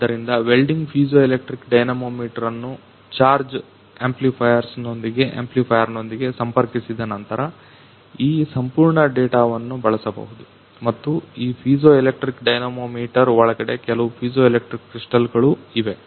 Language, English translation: Kannada, So, this whole data can be used after welding piezoelectric dynamometer has been connected with a charge amplifier and this inside the piezoelectric dynamometer few piezoelectric crystals are there